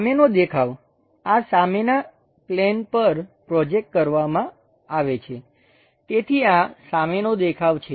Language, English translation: Gujarati, Front view projected onto this front plane, so this is front view